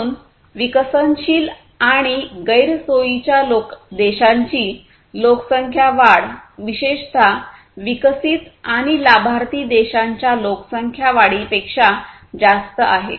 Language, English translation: Marathi, So, the population growth of countries developing and disadvantage is typically greater than the population growth of the developed and advantaged countries